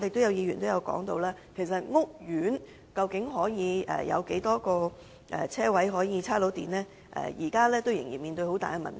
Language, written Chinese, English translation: Cantonese, 有議員質疑屋苑究竟可以提供多少個充電車位，這仍然是一個大問題。, Some Members question the number of parking spaces with charging facilities can be provided in a housing estate . This is a big problem